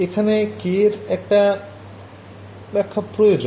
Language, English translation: Bengali, Then this k needs some interpretation ok